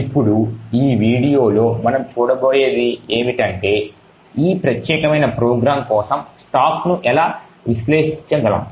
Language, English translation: Telugu, Now what we will see in this particular video is how we could actually analyse the stack for this particular program